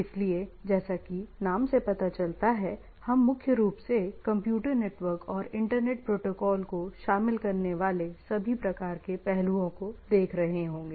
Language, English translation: Hindi, So, as the name suggest, we will be primarily looking around all sorts of aspects encompassing Computer Network and Internet Protocols, right